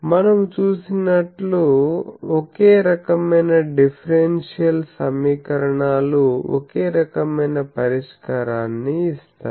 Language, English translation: Telugu, You see, differential equation of same type always gives same solution